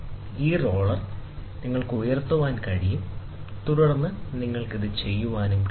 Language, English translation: Malayalam, So, this roller, you can lift it, and then you can do